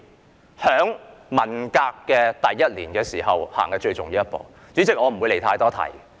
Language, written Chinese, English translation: Cantonese, 這事發生在文革的第一年，也是最重要的一步。, This incident happened in the first year of the Cultural Revolution and it was the most important move